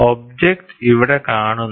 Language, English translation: Malayalam, So, the object is viewed here